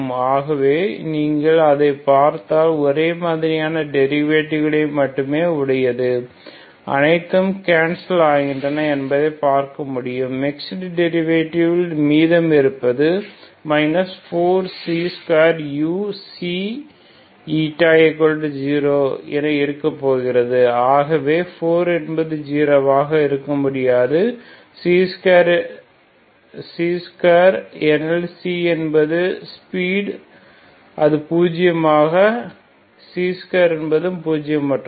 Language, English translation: Tamil, So if you see that you can see that these are all cancelling out same derivatives only mixed derivatives that is remain that is going to be minus 4 C square U Xi eta equal to 0 minus C is 0 so 4 cannot be 0 C square because C is the wave speed which is non zero C square also cannot be zero